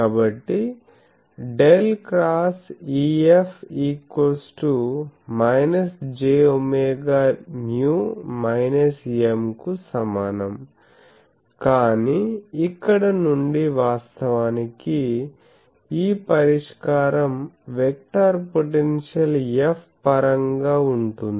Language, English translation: Telugu, So, del cross E is equal to minus j omega mu, but here since actually this solution will be in terms of the vector potential F actually